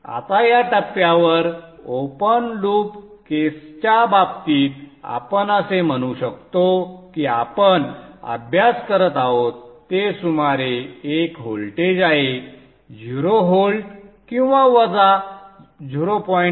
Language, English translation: Marathi, Now in the case of the open loop case at this point we use to give a steady, let us say, we steady DC voltage of around let us say 0 volts or minus 0